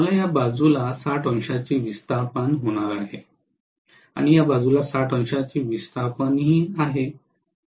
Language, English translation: Marathi, I am going to have this side actually having 60 degree displacement, this side also having 60 degree displacement